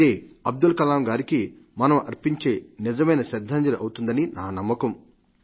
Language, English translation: Telugu, That will be the real tribute to Abdul Kalamji